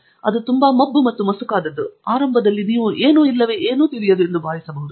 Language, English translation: Kannada, In fact, it is so foggy and hazy that you may think that is nothing or nothing is clear to you in the beginning